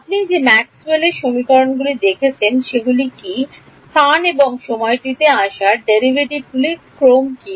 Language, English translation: Bengali, What is the, in the Maxwell’s equations that you have seen, what is the order of derivatives that are coming in space and time